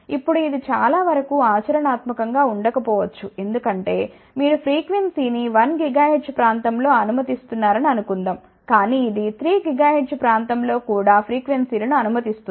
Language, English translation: Telugu, Now, this may not be practical most of the time, because suppose you are passing the frequency let us say in one gigahertz region , but it will also pass the frequencies in 3 gigahertz region also